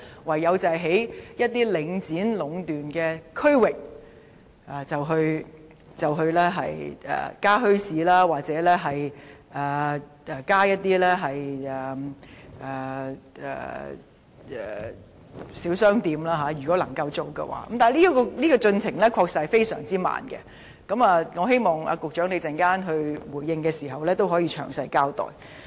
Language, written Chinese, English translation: Cantonese, 唯有在領展壟斷的區域內，在可行的情況下，增設墟市或小商店，但規劃的進程的確非常緩慢，我希望局長在稍後回應時，可以詳細交代。, The only way is to set up bazaars or small shops in districts affected by the monopolization by Link REIT when circumstances permit . However the progress of planning is extremely slow . I hope the Secretary will explain this in detail in his response later on